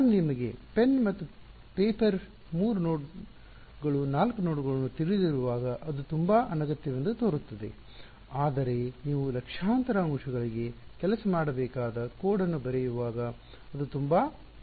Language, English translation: Kannada, When I do it on pen and paper for you know three nodes four nodes it seems very unnecessary, but when you write a code that should work for millions of elements its very very necessary ok